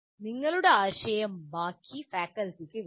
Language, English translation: Malayalam, So you have to sell your idea to the rest of the faculty